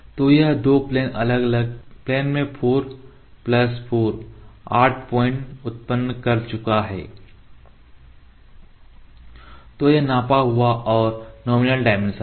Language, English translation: Hindi, So, it has generated 4 plus 4, 8 points in two different planes So, this is the measured and the nominal dimensions here